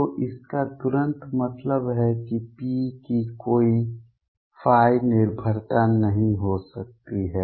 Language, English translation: Hindi, So, this implies immediately that P cannot have any phi dependence